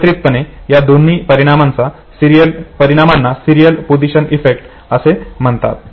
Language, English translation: Marathi, In the combined order both these effects are called as serial position effect